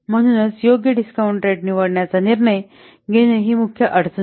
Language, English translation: Marathi, So, deciding, choosing an appropriate discount rate is one of the main difficulty